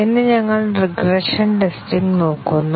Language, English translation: Malayalam, Today, we look at regression testing